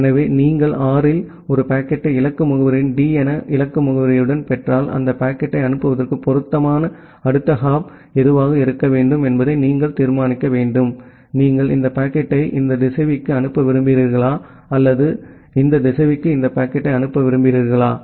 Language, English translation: Tamil, So, if you receive a packet at R with a destination address as with destination address as D, then you have to decide that what should be the suitable next hop to forward that packet; whether you want to forward that packet to this router or whether you want to forward this packet to this router